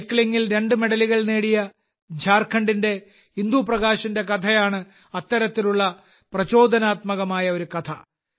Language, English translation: Malayalam, Another such inspiring story is that of Indu Prakash of Jharkhand, who has won 2 medals in cycling